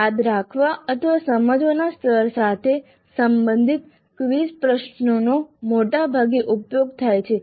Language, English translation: Gujarati, Most of the times the quiz questions belonging to remember or understand level are used